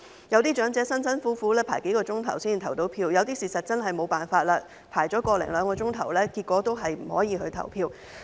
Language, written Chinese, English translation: Cantonese, 有些長者辛辛苦苦輪候數小時才成功投票，有些事實上真的沒有辦法，輪候了個多兩小時後，結果亦無法投票。, Some elderly people had to take the trouble to wait for several hours before they could cast their votes . Some others were really helpless and turned out to be unable to vote after waiting for one to two hours